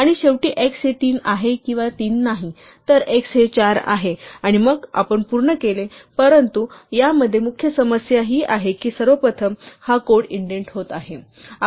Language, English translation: Marathi, And finally, we have x is equal to 3 or not 3, so this is x is equal to 4 and then we are done, but the main problem with this is that first of all this code is getting indented